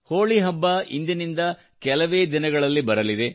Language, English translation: Kannada, Holi festival is just a few days from today